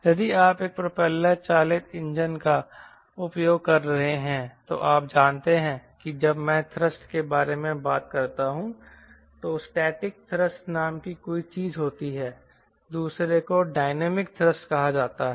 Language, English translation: Hindi, if you are using a propeller driven engine, then you know when i talk about thrust may something called static thrust, another is called dynamics thrust